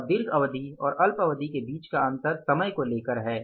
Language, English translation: Hindi, The distinction between the long term and short term is in terms of the time